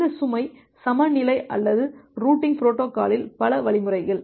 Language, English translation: Tamil, Because of this load balancing or many other mechanism in the routing protocol